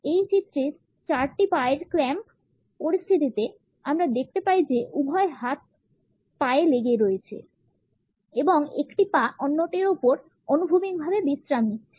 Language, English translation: Bengali, In this figure four leg clamp situations, we find that both hands are clamped on the leg and one leg is resting horizontally over the other